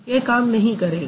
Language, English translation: Hindi, No, that doesn't work